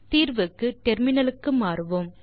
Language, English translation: Tamil, So for solution, we will switch to terminal